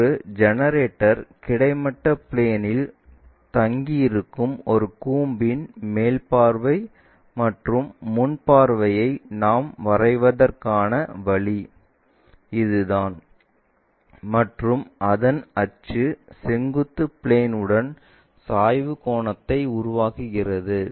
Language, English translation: Tamil, This is the way we draw top view and front view of a cone whose generator is resting on the horizontal plane and its axis is making an inclination angle with the vertical plane